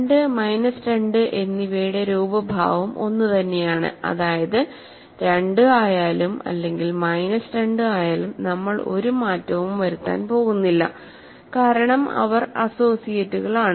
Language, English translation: Malayalam, Appearance of 2 and minus 2 is the same, that means whether 2 comes or minus 2 comes we are not going to make a difference, because they are associates that is the crucial statement there